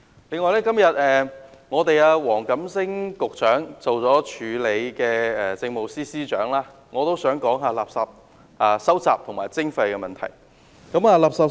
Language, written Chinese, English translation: Cantonese, 此外，今天兼任政務司司長的黃錦星局長在席，我也想談垃圾收集及徵費問題。, Today Mr WONG Kam - sing who is also the Acting Chief Secretary for Administration is present at the meeting . I also want to talk about the issue of waste collection and waste charging